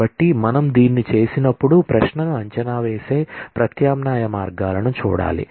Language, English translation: Telugu, So, when we do this, we need to look at alternative ways of evaluating a query